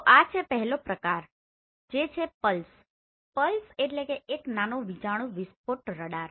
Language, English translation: Gujarati, So this is the first type where we have pulsed radar